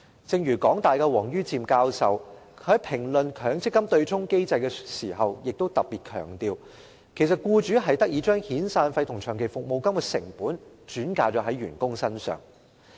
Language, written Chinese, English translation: Cantonese, 正如香港大學王于漸教授在評論強積金對沖機制時亦特別強調，僱主其實得以將遣散費與長期服務金的成本轉嫁到員工身上。, In a commentary on the MPF offsetting mechanism Prof WONG Yue - chim of the University of Hong Kong also particularly stressed that it actually allowed employers to pass on the cost of severance payments and long service payments to employees